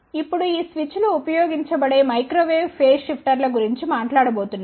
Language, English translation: Telugu, Now, we are going to talk about microwave phase shifters where these switches will be used